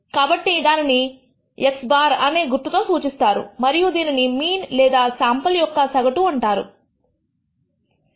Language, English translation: Telugu, So, that is also denoted by the symbol x bar and its also called the mean or the average of the sample